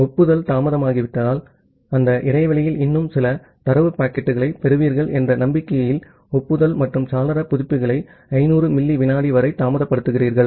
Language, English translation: Tamil, So, in case of delayed acknowledgement, you delay the acknowledgement and window updates for up to some duration 500 millisecond in the hope of receiving few more data packets within that interval